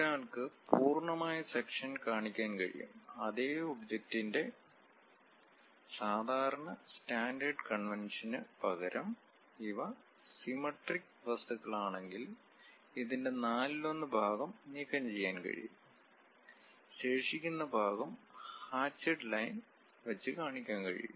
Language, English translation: Malayalam, One can have a full section show the same object, instead of that usual the standard convention is; if these are symmetric kind of objects, one quarter of the portion one can really remove it, the remaining portion one can show it by hatched lines